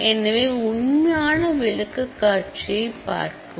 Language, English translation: Tamil, So, please refer to the actual presentation